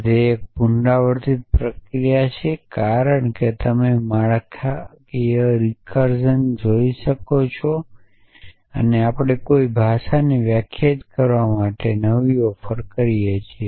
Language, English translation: Gujarati, So, this is a recursive definition as you will see this structural recursion which we offer new to define a language